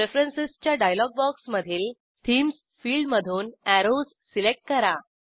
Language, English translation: Marathi, Select Arrows from the Themes field in the Preferences dialog box